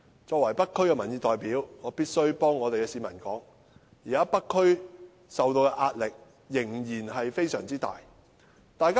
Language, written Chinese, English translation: Cantonese, 作為北區的民意代表，我必須代這區的居民說，現在北區受到的壓力仍然非常大。, As a representative of public opinion in North District I must speak for the local residents . At present North District is still under very heavy pressure